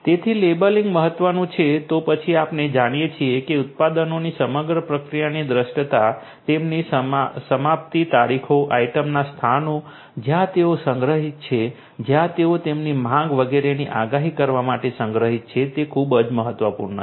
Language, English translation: Gujarati, So, labeling is important then we can have you know it is very important to have visibility through the entire process visibility of the products, they are expiration dates, the item locations where they are stored, where they are stocked forecasting their demands etcetera, so visibility